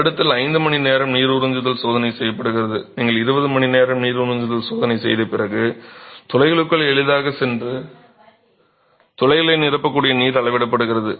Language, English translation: Tamil, A 5 hour water absorption test is done where after you do the 24 hour water absorption test where the water that can freely go into the pores and fill up the pores is being measured